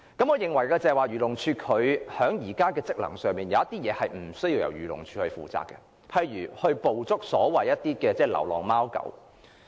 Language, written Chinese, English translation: Cantonese, 我認為，在漁護署現有職能方面，有些事情其實無須由漁護署負責的，例如捕捉流浪貓狗。, In my view AFCD actually needs not take up some of its existing duties and functions such as catching stray cats and dogs